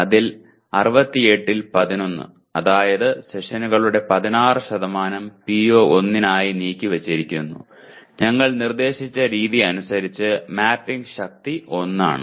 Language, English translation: Malayalam, Out of that 11 out of 68 that is 16% of the sessions are devoted to PO1 and as per our suggested thing mapping strength becomes 1, okay